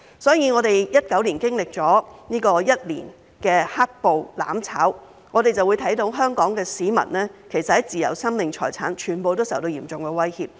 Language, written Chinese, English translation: Cantonese, 所以，我們2019年經歷了一年的"黑暴""攬炒"，便會看到香港市民的自由、生命、財產，全部都受到嚴重威脅。, Having experienced a year of mutual destruction initiated by black - clad rioters in 2019 we can see that the freedoms life and property of Hong Kong people are all under serious threat